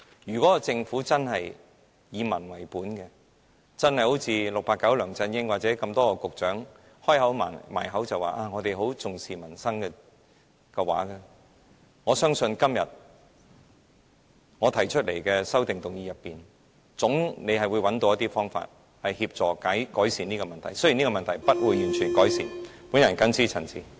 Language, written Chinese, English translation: Cantonese, 如果政府真的以民為本，一如 "689" 梁振英或多位局長般常常把重視民生掛在嘴邊，我相信即使這種情況未必完全得以改善，但在我今天提出的修正案中，政府總可找到一些方法協助改善這種情況。, If the Government really adopts a people - based approach that attaches importance to peoples livelihood just as 689 LEUNG Chun - ying and many Bureau Directors often claim I believe the Government can somehow find some solutions in the amendment proposed by me today even if the aforesaid situations cannot be improved once and for all